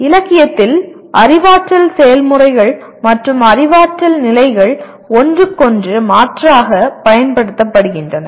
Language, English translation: Tamil, In literature cognitive processes and cognitive levels are used interchangeably